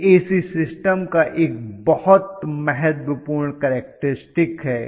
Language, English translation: Hindi, This is very very important characteristic in AC systems